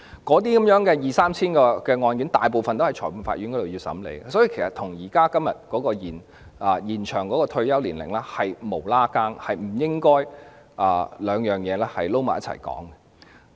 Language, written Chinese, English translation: Cantonese, 那二三千宗案件大部分都會在裁判法院審理，所以與現時有關延展退休年齡的辯論完全無關，不應將兩者混為一談。, A vast majority of the 2 000 to 3 000 cases will be heard in the Magistrates Courts so they are entirely irrelevant to the current debate on the extension of retirement ages . We should not confuse the two issues